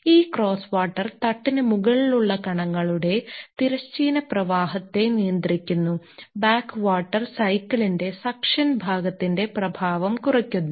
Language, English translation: Malayalam, This cross water controls the horizontal flow of particles across the top of the bed; the back water reduces the effect of the suction part of the cycle